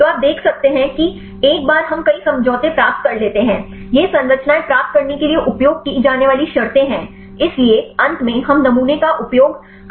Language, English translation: Hindi, So, you can see once we get several conformations, these are the conditions used for getting these structures; so finally, we use sampling